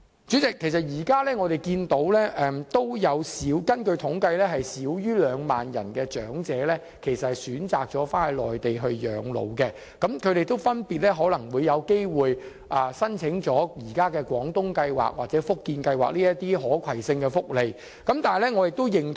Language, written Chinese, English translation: Cantonese, 主席，根據統計，現時香港有少於2萬名長者選擇返回內地養老，他們分別會申請現時的"廣東計劃"或"福建計劃"的可攜性福利。, President according to statistics less than 20 000 elderly people in Hong Kong have chosen to spend their twilight years on the Mainland and they have applied for the cross - boundary portability arrangements for welfare benefits under either the Guangdong Scheme or the Fujian Scheme